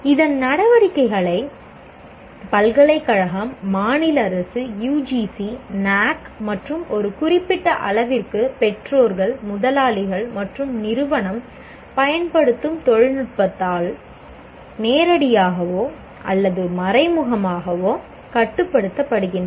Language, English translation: Tamil, And the activities of this are directly or indirectly controlled by the university, state government, UGC, NAC, and to a certain extent parents, employers, and technology is used by the institution